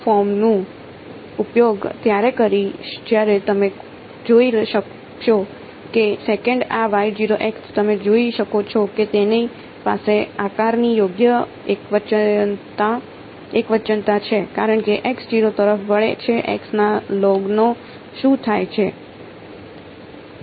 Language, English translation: Gujarati, I will use this form when you can see that the second this Y 0 you cans see that it has the correct singularity kind of a shape right, as x tends to 0 what happens to log of x